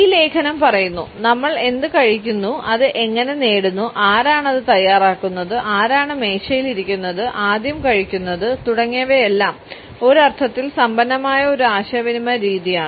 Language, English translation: Malayalam, I would quote from this article “what we consume, how we acquire it, who prepares it, who is at the table, who eats first is a form of communication that is rich in meaning